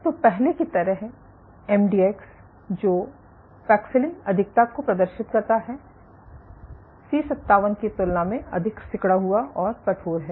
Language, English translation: Hindi, So, like previously MDX which exhibit paxillin over expression are contractile are more contractile and stiffer compared to C57